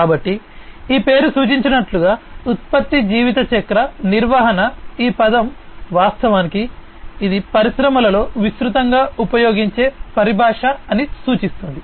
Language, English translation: Telugu, So, product lifecycle management as this name suggests, this term suggests it is actually a widely used terminologies in the industry